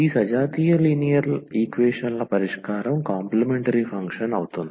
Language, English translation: Telugu, So, solution of this homogeneous linear equations the complementary function